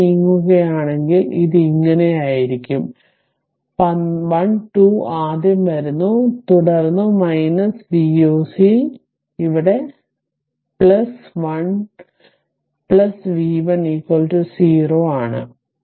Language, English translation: Malayalam, So, if we move like this, so it will be minus 12 is coming first, then your minus V o c here it is plus your v 1 plus v 1 is equal to 0 right